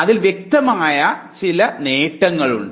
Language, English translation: Malayalam, But there are obvious benefits attached to it